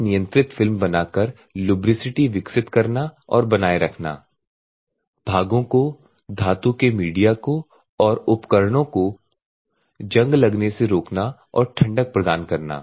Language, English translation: Hindi, Develop or maintain lubricity by forming at the same, prevent the corrosion parts, metallic media, and equipment and provide the cooling